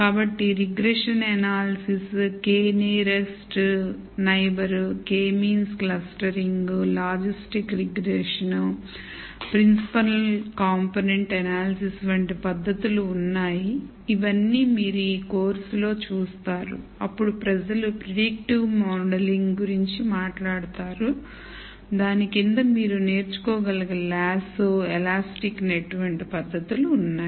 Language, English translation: Telugu, So, there are techniques such as Regression analysis, K nearest neighbour, K means clustering, logistics regression, Principle component analysis, all of which you will see in this course then people talk about Predictive modelling under that there are techniques such as Lasso, Elastic net that you can learn